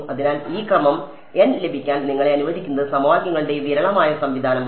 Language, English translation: Malayalam, So, this sparse system of equations is what allows you to get this order n